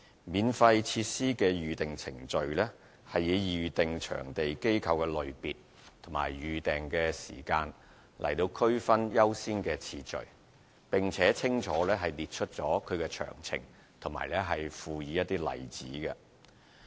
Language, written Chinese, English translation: Cantonese, 《免費設施的預訂程序》是以預訂場地機構的類別及預訂時間來區分優先次序，並且清楚列出其詳情及附以例子。, The Booking Procedure For Use Of Non - Fee Charging Recreation And Sports Facilities prioritizes applications according to the type of applicant organizations and advance booking period and spells out clearly the relevant details with examples provided